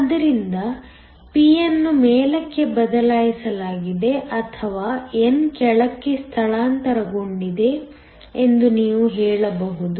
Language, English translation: Kannada, So, you can either say that the p has shifted up or the n has shifted down